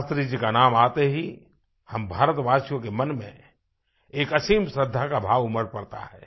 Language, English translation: Hindi, The very name of Shastriji evokes a feeling of eternal faith in the hearts of us, Indians